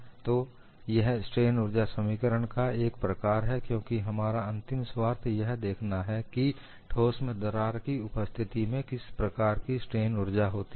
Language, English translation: Hindi, So, this is the form of the strain energy expression, because our final interest is to see, what is the kind of strain energy in the presence of a crack in a solid, this is what we want to arrive at